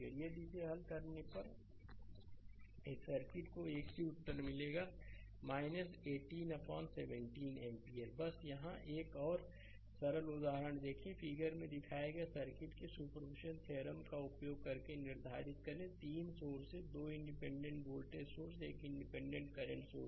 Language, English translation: Hindi, If you solve this one this circuit you will get the same answer minus 18 upon 17 ampere right just one here see one more simple example, determine i using superposition theorem of the circuit shown in figure; there are 3 sources 2 independent voltage sources one independent current sources right